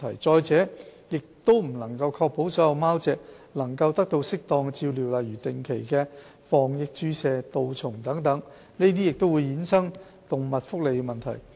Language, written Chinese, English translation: Cantonese, 再者，亦不能確保所有貓隻都能得到適當的照料，例如定期的防疫注射及杜蟲等，這更會衍生動物福利等問題。, Furthermore there is no guarantee that all cats are given proper care such as vaccinations and deworming on a regular basis . This will bring about animal welfare issues